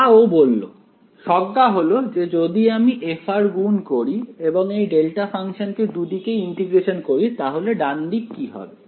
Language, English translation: Bengali, So, as he suggested the intuition is that if I multiply f of r and now integrate this delta function on both sides what will the right hand side become